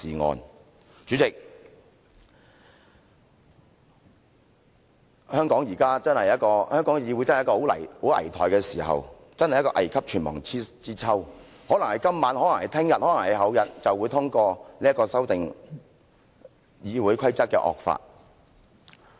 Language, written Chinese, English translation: Cantonese, 代理主席，香港的議會確實處於一個很危殆的時刻，真是一個危急存亡之秋，可能是今晚，可能是明天，可能是後天便會通過這個修訂《議事規則》的惡法。, Deputy President the Hong Kong legislature is honestly facing a critical moment literally a moment of life and death . Maybe this evening maybe tomorrow or maybe the day after tomorrow we will see the passage of the draconian amendments to RoP